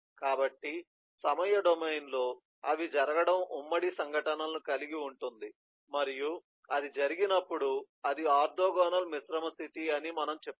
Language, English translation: Telugu, so in time domain, their happening is has concurrent events, and when that happens then you says that is a orthogonal, composite state